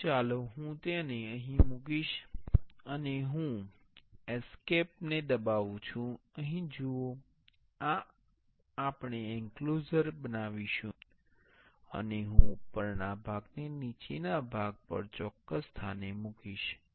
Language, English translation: Gujarati, So, let me place it here, and I will press escape, here see this is the enclosure we will be making, and I will place the top part on the bottom part at the exact place